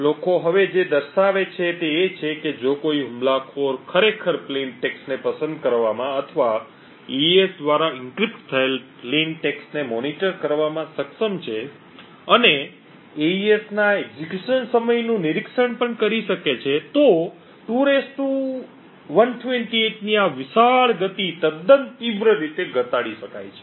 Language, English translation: Gujarati, What people now show is that if an attacker is able to actually choose plain text or monitor the plain text that are being encrypted by AES and also monitor the execution time of AES then this huge pace of 2 power 128 can be reduced quite drastically